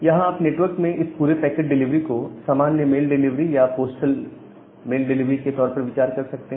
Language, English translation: Hindi, So, you can you can here you can think of this entire packet delivery in the network in the form of our normal mail delivery or the postal mail delivery